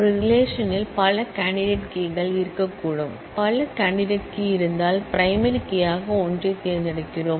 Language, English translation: Tamil, There could be multiple candidate key in a relation, if there are multiple candidates key then we select one to be the primary key